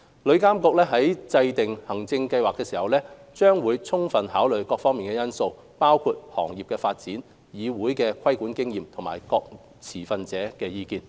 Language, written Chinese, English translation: Cantonese, 旅監局在制訂行政計劃時，將會充分考慮各方面因素，包括行業發展、旅議會的規管經驗及各持份者的意見等。, When formulating the administrative scheme TIA will holistically consider different factors including industry development TICs regulatory experience and stakeholders views